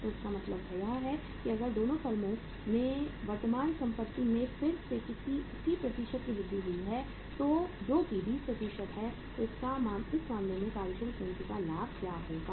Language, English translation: Hindi, So it means if there is a increase in the current assets in the 2 firms by again the same same percentage that is the 20% so what will be the working capital leverage in this case